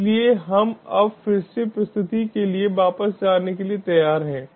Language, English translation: Hindi, so we are ready to go now again back to the presentation